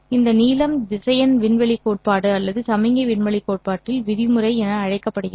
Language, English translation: Tamil, And this length is called as norm in vector space theory or the signal space theory